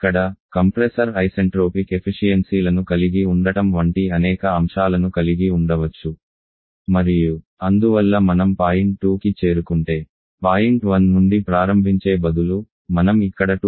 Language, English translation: Telugu, Here, we can have several things like the compressor can have isentropic efficiencies and therefore instead of starting from point 1 is you have reaching point 2 we may reach somewhere here 2 Prime